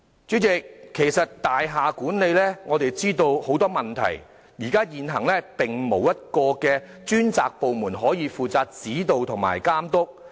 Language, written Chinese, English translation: Cantonese, 主席，我們知道大廈管理存在很多問題，現行並沒有一個專責部門負責指導及監督。, President we know that there are many problems in building management yet we do not have a dedicated department responsible for effecting guidance and supervision now